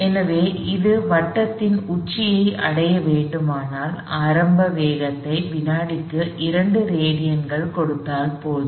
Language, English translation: Tamil, So, if for it to just reach the top of the circle, if I given initial velocity of 2 radians per second that is enough